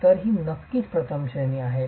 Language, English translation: Marathi, So, this is definitely the first category